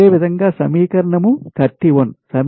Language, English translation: Telugu, this is equation thirty one